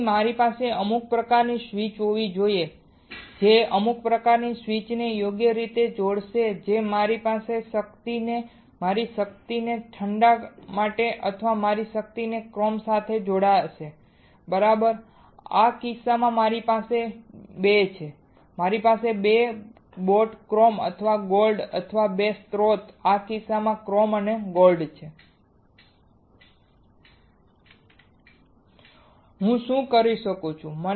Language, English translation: Gujarati, So, I should have some kind of switch some kind of switch right that will connect that will connect my power, my power to either cold or my power to either chrome right in this case I have 2 I have 2 boats chrome and gold or 2 sources chrome and gold in this case What can I do